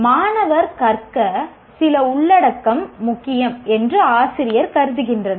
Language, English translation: Tamil, The teacher considers certain content is important for the student to learn